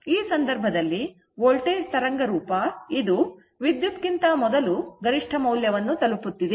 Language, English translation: Kannada, So, in that case this is the voltage wave form, it is reaching peak value earlier before the current